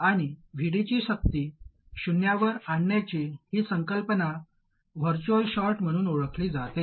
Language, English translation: Marathi, And this concept of VD being forced to 0, this is known as the virtual short